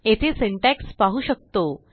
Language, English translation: Marathi, We can see the syntax here